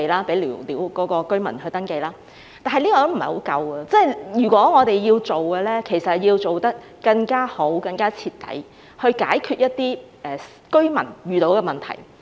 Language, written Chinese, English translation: Cantonese, 不過，這是不太足夠的，如果我們要做，便要做得更加好、更加徹底，以解決居民遇到的問題。, Nevertheless this is far from enough . If we are to do it we need to do it in a better and more thorough way with a view to resolving the problems of the residents